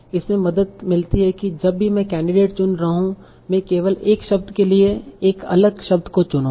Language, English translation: Hindi, Whenever I am choosing the candidates, I will only choose a different word for one of the words